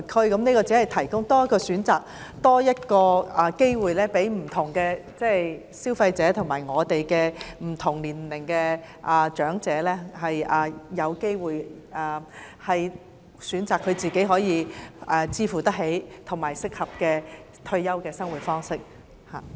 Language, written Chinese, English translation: Cantonese, 我只是建議多提供一個選擇、機會，讓不同消費者及不同年齡的長者按個人負擔能力，選擇適合自己的退休生活方式。, I only suggested the provision of a choice or opportunity to enable different consumers and elderly persons of different ages to choose the suitable retirement lifestyle for themselves according to their affordability